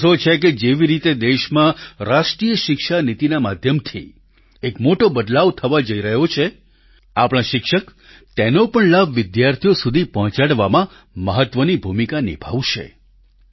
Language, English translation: Gujarati, I am confident that the way National Education Policy is bringing about a tectonic shift in the nation and that our teachers will play a significant role in disseminating its benefits to our students